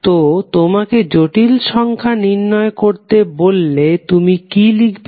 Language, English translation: Bengali, So, if you are asked to define the complex number, what you will write